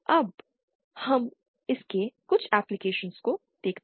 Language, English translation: Hindi, Now let us see some applications of this